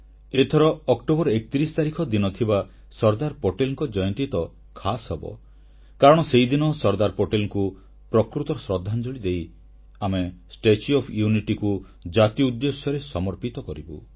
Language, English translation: Odia, The 31st of October this year will be special on one more account on this day, we shall dedicate the statue of unity of the nation as a true tribute to Sardar Patel